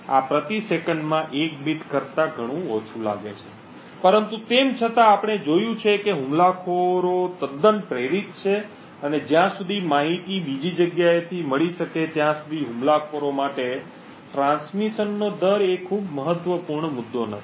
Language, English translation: Gujarati, This seems to be much less than 1 bit per second but nevertheless we see that attackers are quite motivated, and the rate of transmission is not a very critical issue for attackers as long as the information can be obtained on the other side